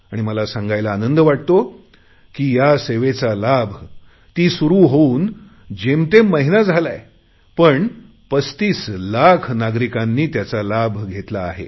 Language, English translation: Marathi, I am happy to state that although it has been barely a month since this service was launched, 35 lakh people have availed of it